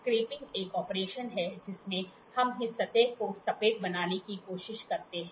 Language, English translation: Hindi, Scraping is an operation, where in which we try to make this surface flat